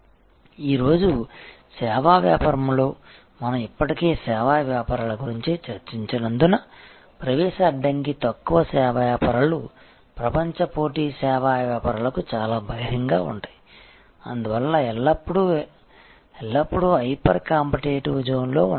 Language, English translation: Telugu, And why in today service business, because we have already discuss service businesses are the entry barrier is low service businesses are very open to global competition service businesses therefore, always almost always in a hyper competitive zone